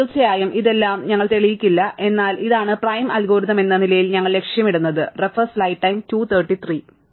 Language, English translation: Malayalam, Of course, we will not prove all this, but this is what we aim as prim's algorithm, right